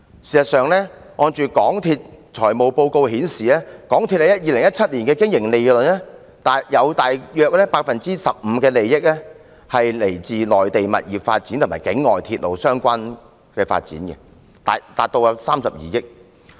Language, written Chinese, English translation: Cantonese, 事實上，港鐵公司的財務報告顯示，其2017年的經營利潤中約 15% 是來自內地物業發展和境外鐵路相關發展，達32億元。, In fact MTRCLs financial statements show that about 15 % of its operating profits in 2017 were derived from property development in the Mainland and overseas development relating to railway among which profits from property development in the Mainland amounted to 2.3 billion